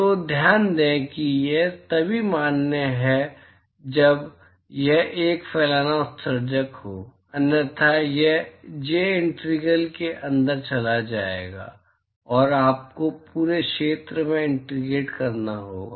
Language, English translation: Hindi, So, note that this is valid only when it is a diffuse emitter; otherwise, this j will go inside the integral and you will have to integrate over the whole area